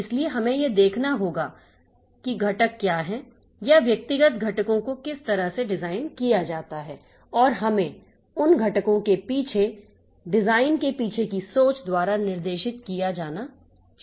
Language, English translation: Hindi, So, we have to see like what are the components or the how the individual components are generally designed and we should be guided by the design philosophy behind those components